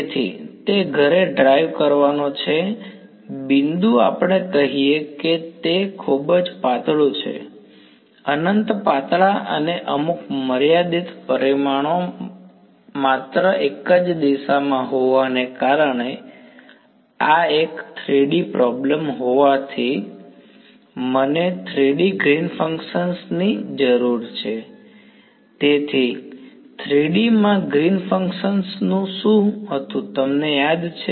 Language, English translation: Gujarati, So, it is to drive home the point let us say it is very thin; infinitely thin and having some finite dimension only in one direction Now, the since this is a 3D problem, I need the 3D Green’s function; so, what was my Green’s function in 3D, you remember